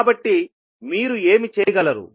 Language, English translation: Telugu, So, what you will get